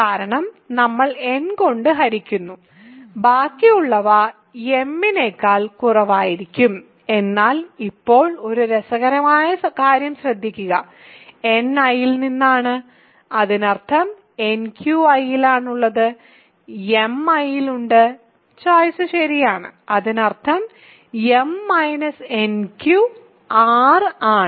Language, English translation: Malayalam, Because, we are dividing by n the remainder will be strictly less than m; but now notice an interesting thing, n is in I by choice; that means, nq is in I, m is in I, by also choice right; that means, m minus nq is n I